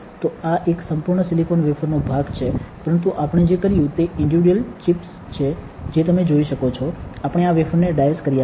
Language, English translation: Gujarati, So, this is this is part of a whole silicon wafer ok, but what we did these are individual chips you can see, we have diced this wafer